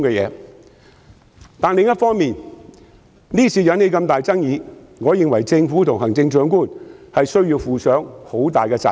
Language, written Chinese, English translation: Cantonese, 不過，另一方面，這次引起那麼大的爭議，我認為政府和行政長官需要負上很大的責任。, Yet on the other hand I believe that the Government and the Chief Executive should be held largely responsible for arousing such a big controversy this time